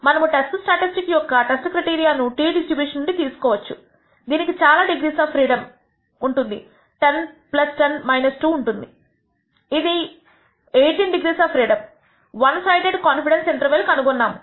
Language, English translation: Telugu, We will choose the test statistic test criteria from the t distribution with this many degrees of freedom 10 plus 10 minus 2 which is 18 degrees of freedom and we nd that the one sided con dence interval